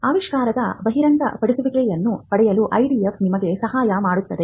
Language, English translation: Kannada, The IDF helps you to get the disclosure of the invention